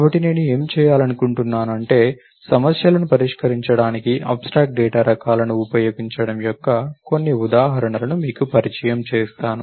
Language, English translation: Telugu, So, I thought what I will do is, I will walk you through some examples of using abstract data types to solve problems